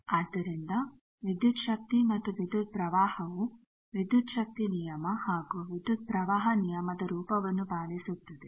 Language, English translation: Kannada, So, voltage and currents obey the form of voltage law and current law